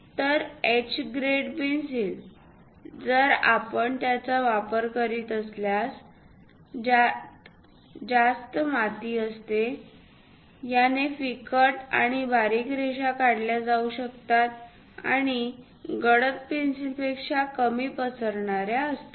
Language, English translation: Marathi, Whereas a H grade pencil, if we are using it, this contains more clay, lighter and finer lines can be drawn and less smudgy than dark pencil